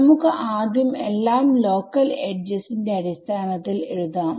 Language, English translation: Malayalam, Let us write everything in terms of local edges first ok